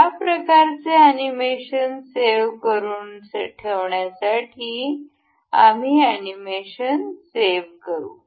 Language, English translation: Marathi, To save this kind of animation, we will go with save animation